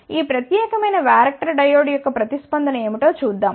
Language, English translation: Telugu, So, let us see what is the response of this particular varactor diode